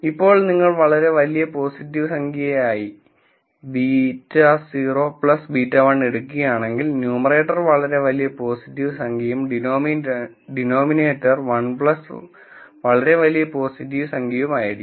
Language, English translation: Malayalam, Now if you take beta naught plus beta 1 X to be a very large positive number, then the numerator will be a very very large positive number and the denominator will be 1 plus that very large positive number